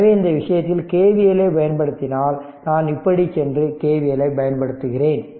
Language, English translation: Tamil, So, in this case if you apply your KVL suppose if I go like this and i apply your KVL